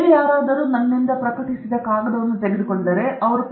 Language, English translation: Kannada, If somebody else picks up that paper published by me, that is exactly what they are looking forward to in that paper